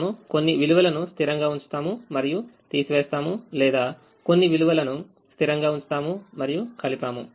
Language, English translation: Telugu, we we either keep certain things fixed and subtract, or keep certain things fixed and add